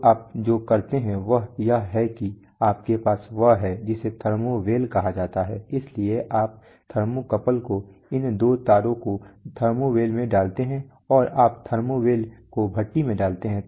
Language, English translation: Hindi, So what you do is you have what is called a thermo well, so you put the thermocouple those two wires in the thermo well and you put the thermo well in the furnace